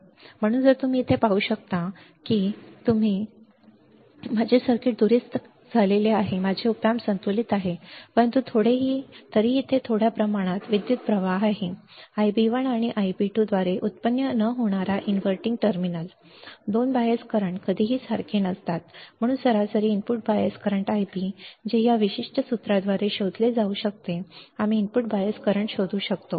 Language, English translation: Marathi, So, if I have you can see here you can see here right if my if I do this kind of connection if I correct my circuit as shown in schematic then my op amp is balanced, but still there is small amount of current flowing into the non inverting and inverting terminal that is generated by I b 1 and I b 2, right and this 2 bias currents are never same hence average input bias current I b which can be found by this particular formula we can find the input bias current